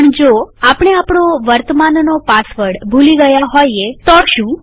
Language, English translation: Gujarati, But what if we have forgotten our current password